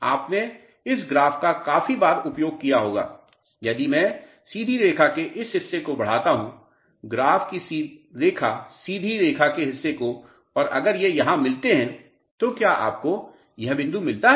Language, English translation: Hindi, You might have used this graph quite frequently if I extend this portion of the straight line, straight line portion of the graph and if it intersects somewhere here, did you get this point